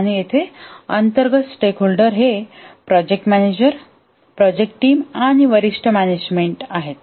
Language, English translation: Marathi, And here the internal stakeholders are the project manager, the project team, and the top management